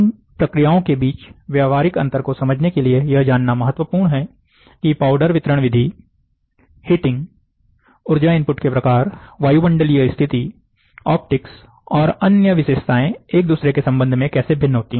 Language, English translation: Hindi, To understand the practical difference between these processes, it is important to know how the powder delivery method, heating process, energy input type, atmospheric conditions, optics and other features vary with respect to one another